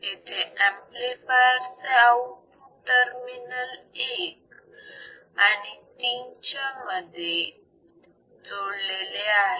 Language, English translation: Marathi, The output of the amplifier is applied between terminals 1 and terminal 3